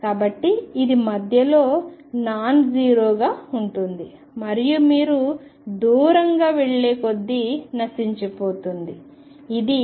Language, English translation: Telugu, So, it is going to be nonzero at the center and will decay as you go far away